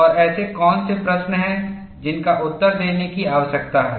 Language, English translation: Hindi, And what are the questions that need to be answered